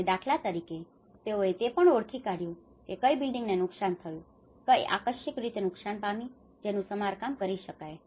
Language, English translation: Gujarati, And for instance, they have also identified which of the buildings have been damaged, which are partially damaged, which could be repaired